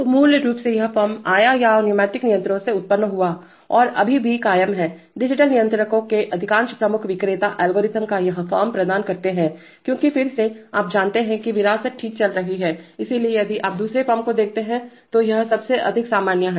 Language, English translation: Hindi, So basically this form came or originated from the pneumatic controllers and still persists, most major vendors of digital controllers provide this form of the algorithm because again, you know legacy is going on okay, so if you look at the second form this is the most common